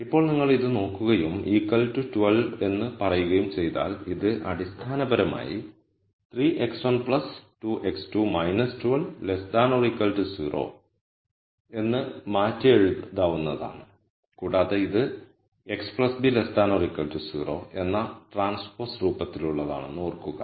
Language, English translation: Malayalam, Now if you look at this and then say this less than equal to 12 it can be basically rewritten as 3 x 1 plus 2 x 2 minus 12 less than equal to 0 and remember that this is of the form in transpose x plus b less than equal to 0